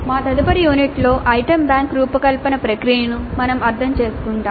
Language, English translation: Telugu, So, in our next unit we will understand the process of designing an item bank